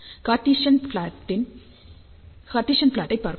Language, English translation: Tamil, Let us see the Cartesian plot